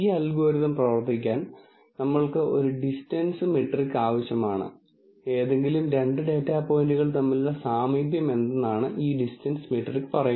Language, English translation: Malayalam, We really need a distance metric for this algorithm to work and this distance metric would basically say what is the proximity between any two data points